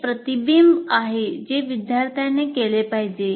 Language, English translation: Marathi, So there is certain reflecting that has to be done by the student